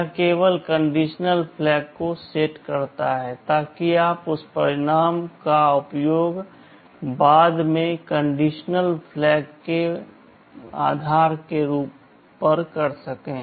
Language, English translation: Hindi, It only sets the condition flag so that you can use that result later depending on the condition flag